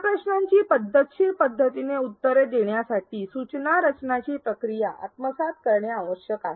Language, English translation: Marathi, To answer these questions in a systematic manner, the process of instructional design needs to be adopted